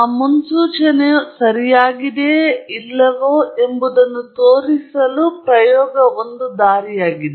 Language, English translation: Kannada, It is the experiment which shows whether or not that prediction is correct